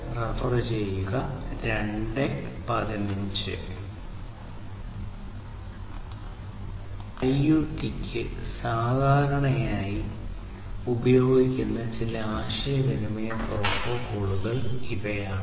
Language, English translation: Malayalam, So, these are some of the communication protocols that are typically used for IoT